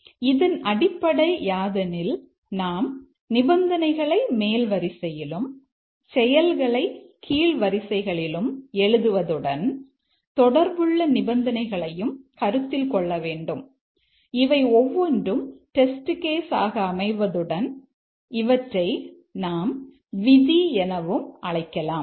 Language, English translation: Tamil, So, the idea here is that we write the conditions, the top rows, actions in the bottom rows, and consider various combinations of conditions and each of these become a test case and we call them as rules